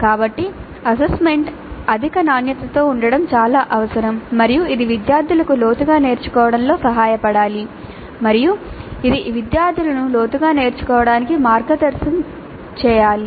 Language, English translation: Telugu, So it is absolutely essential that the assessment is of high quality and it should help the students learn deeply and it should guide the students into learning deeply